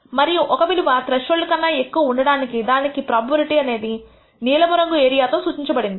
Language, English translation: Telugu, And the probability that can have a value greater than the threshold is indicated by this blue area